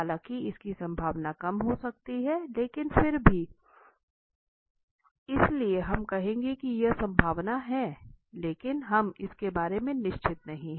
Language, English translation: Hindi, All though the chances might be less of it, but still there is a chance so we will say there is probability here, but we are not sure of it